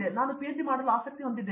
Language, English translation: Kannada, Then I was interested to do PhD